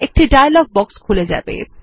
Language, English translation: Bengali, A dialog box will open